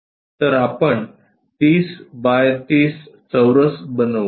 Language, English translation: Marathi, So, a 30 by 30 square we will construct it